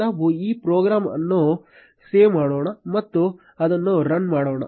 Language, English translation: Kannada, Let us save this program and run it